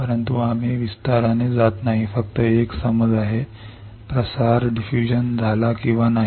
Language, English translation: Marathi, But we not going in detail just an understanding that if diffusion occurs or not